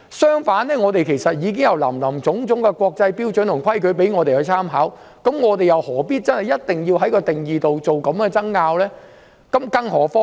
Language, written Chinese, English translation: Cantonese, 相反，其實我們已有林林總總的國際標準和規矩可以參考，又何必一定要就定義作這樣的爭拗？, On the contrary we can draw reference from various international standards and rules already in place . So why should we dispute over the definition?